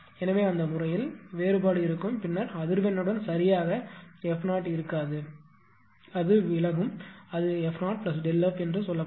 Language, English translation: Tamil, So, in that case the difference will be there then with frequency you will not be exactly f 0 it will deviate it will be said f 0 plus delta P L